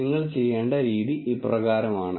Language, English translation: Malayalam, So, the way you do it is as follows